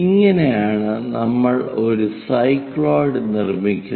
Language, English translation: Malayalam, So, that it forms a cycloid